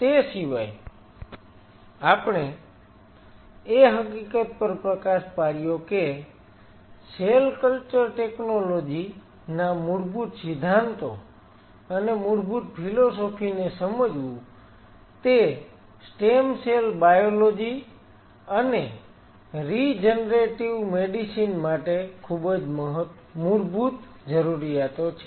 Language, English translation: Gujarati, Apart from it we highlighted the fact that understanding the fundamentals of cell culture technology and the basic philosophies will be one of the very basic prerequisites for stem cell biology and regenerative medicine